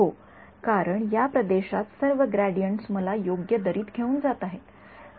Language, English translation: Marathi, Yes because in this region over here all the gradients are guiding me to the correct valley